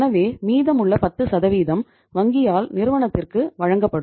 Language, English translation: Tamil, So it means the remaining 10% will be given by the bank to the firm